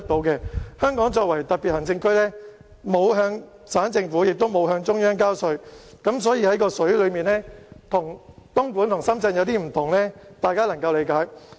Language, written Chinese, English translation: Cantonese, 香港作為特別行政區，沒有向省政府及中央交稅，因此在用水價格上與深圳和東莞有所不用，相信大家是可以理解的。, Hong Kong as a special administrative region does not have to pay taxes to the municipal or Central Government so the water price paid by Hong Kong is not the same as those paid by Shenzhen and Dongguan . I believe that it is reasonable